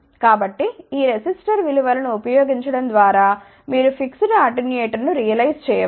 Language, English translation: Telugu, So, by using these resistor values you can actually realize of fixed attenuator